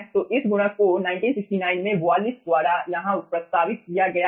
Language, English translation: Hindi, so this multiplier has been proposed by wallis over here in 1969